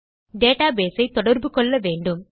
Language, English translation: Tamil, We need to connect to our database